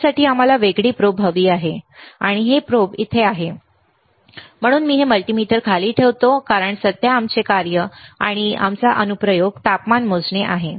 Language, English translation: Marathi, And this probe is here so, I will put this multimeter down because right now our function or our application is to measure the temperature